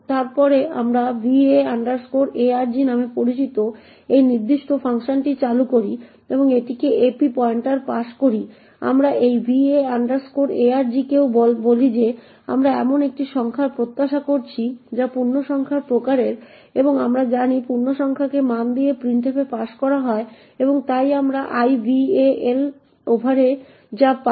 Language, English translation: Bengali, We then invoke this particular function known as va arg and pass it the ap pointer we also tell this va arg that we are expecting a number which is of type integer and as we know integer is passed by value to printf and therefore what we obtain in ival over here is corresponding value of a that is this value a would get stored into ival then the invoke of function to print ival